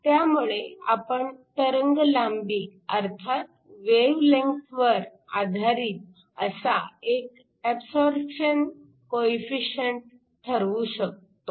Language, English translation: Marathi, So, we were able to define an absorption coefficient that is wave length dependent